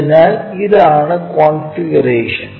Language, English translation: Malayalam, So, this is the configuration